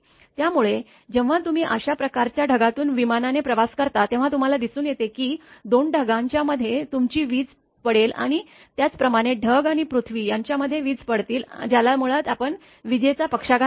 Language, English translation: Marathi, So, when you even if you travel by airplane through this kind of the you know cloud you can see that there will be your lightning happening between the 2 clouds and similarly it is between the cloud and the earth which basically we call lightning stroke